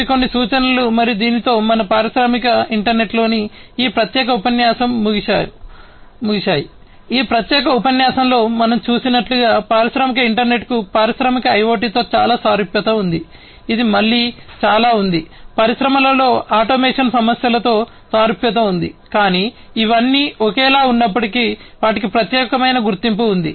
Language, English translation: Telugu, So, these are some of these references, and with this we come to an end, of this particular lecture on industrial internet, as we have seen in this particular lecture industrial internet has lot of similarity with the industrial IoT, which again has also a lot of similarity with automation issues in the industry, but all of these even though are similar they have their own distinct identity and the origin is also distinct and that is how these have also become very popular on their own standing